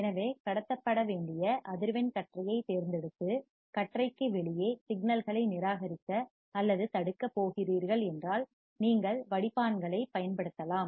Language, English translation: Tamil, So, if you select a band of frequency that you need to pass, and you are going to reject or block the signals outside the band, you can use the filters